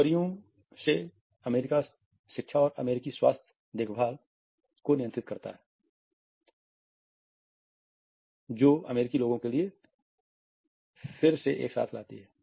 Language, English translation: Hindi, From jobs American education control American health care costs and bring the American people together again